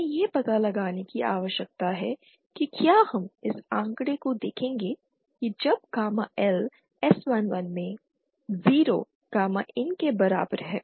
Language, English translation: Hindi, To da that we need to find out if we will see this figure note that when gamma L is equal to zero gamma in becomes s11